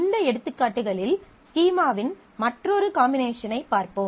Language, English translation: Tamil, Of these examples, let us say we look into another combined combination of schema